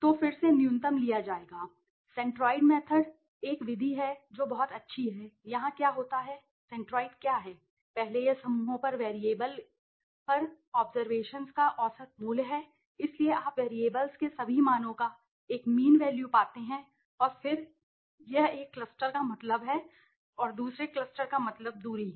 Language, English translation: Hindi, So, again the minimum will be taken centroid method is a method which is also very nice what happens here what is the centroid first it is the mean value of the observations on the variable on the clusters, so you find a mean value of all the variables the values of the variables and then the this mean of one cluster and the mean of another cluster is the distance is found out right and then you find out the minimum one and then you club them start clubbing together